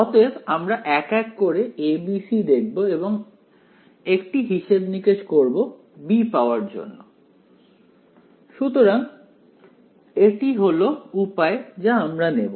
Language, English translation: Bengali, So, we will individually go over a b c and do a budgeting to get b that is the approach that we are going to take ok